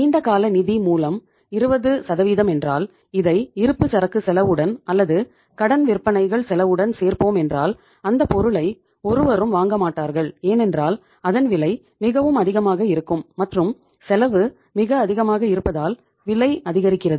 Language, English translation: Tamil, If it is the borrowing is from the long term sources and 20% if you would like to add as the inventory cost or maybe as a cost of credit sales nobody will be buying the product of the firm maybe on the credit because the cost is very very high and price is because of the cost is very very high